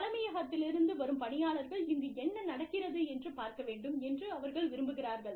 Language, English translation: Tamil, They want people from the headquarters, to come and see, what is really going on